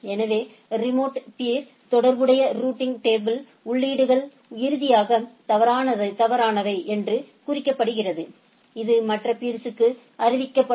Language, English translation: Tamil, So, the routing table entries associated with the remote peer are mark invalid finally, other peers are notified